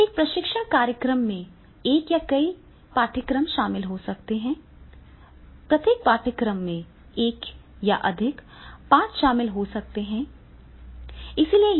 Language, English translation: Hindi, A training program may include one or several courses, each course may contain one or more lessons, right